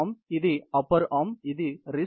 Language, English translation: Telugu, This is the upper arm and this is the wrist region